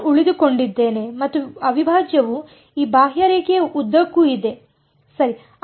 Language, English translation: Kannada, I am staying and the integral is along this contour right